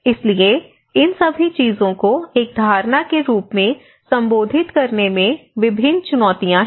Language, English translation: Hindi, So, there are various challenges in addressing all these things as a perception